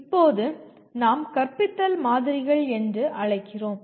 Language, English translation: Tamil, Now there are what we call models of teaching